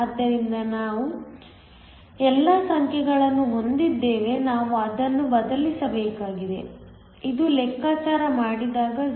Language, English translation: Kannada, So, we have all the numbers we just need to substitute that this works out to be 0